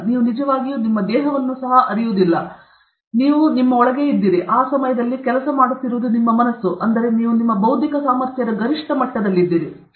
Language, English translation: Kannada, You, in fact, you were not conscious about your body also; you were just in, you were just freaking out, it is just your mind which was working at that time; that means, you are at the peak of your intellectual abilities okay